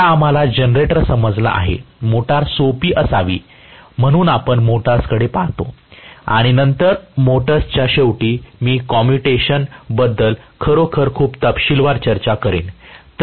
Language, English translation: Marathi, Now, that we have understood generator, hopefully motor should be simpler, so we look at motors and then at the end of motors I will discuss commutation in really great detail